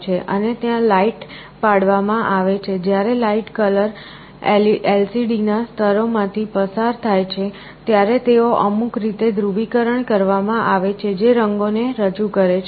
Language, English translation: Gujarati, And light is projected, when light flows through the layers for a color LCD, they are polarized in some way, which represent colors